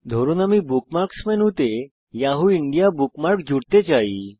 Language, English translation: Bengali, Lets say we want to add the Yahoo India bookmark to the Bookmarks menu